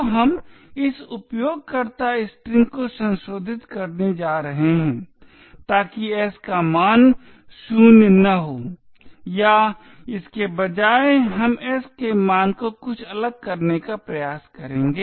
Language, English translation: Hindi, So we are going to modify this user string so that the value of s is not 0 or rather we will try to change the value of s to something different